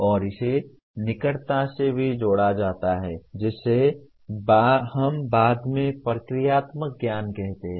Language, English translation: Hindi, And it is also closely linked with what we call subsequently as procedural knowledge